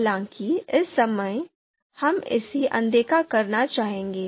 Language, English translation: Hindi, However, at this point of time, we would like to ignore this